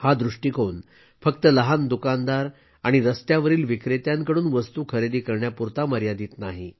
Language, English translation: Marathi, This vision is not limited to just buying goods from small shopkeepers and street vendors